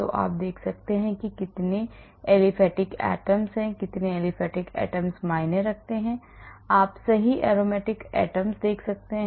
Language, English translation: Hindi, so you can see how many aliphatic atoms are there how many aliphatic bond counts you can see right aromatic atoms